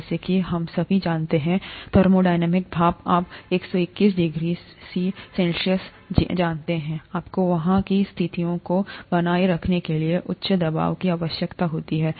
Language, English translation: Hindi, As we all know, thermodynamic steam, you know 121 degrees C, you need a higher pressure to maintain the conditions there